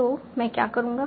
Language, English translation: Hindi, So how do I go about it